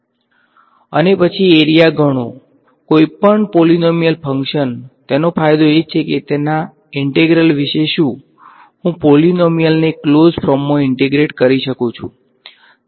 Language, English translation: Gujarati, And, then compute the area any polynomial function the advantage is that what about its integral, I can integrate a polynomial in close form right